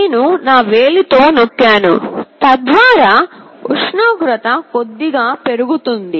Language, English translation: Telugu, I am just pressing with my finger, so that the temperature increases that little bit